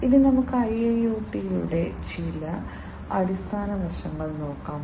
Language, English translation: Malayalam, So, let us now look at some of the fundamental aspects of IIoT